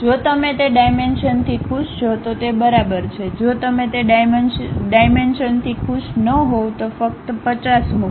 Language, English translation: Gujarati, If you are happy with that dimensions, it is ok if you are not happy with that dimension just put 50